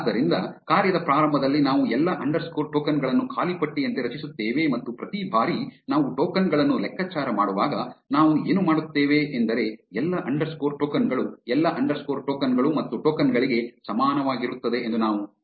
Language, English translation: Kannada, So, we will create all underscore tokens as an empty list in the beginning of the function and every time we calculate the tokens, what we will do is we will say all underscore tokens is equal to all underscore tokens plus tokens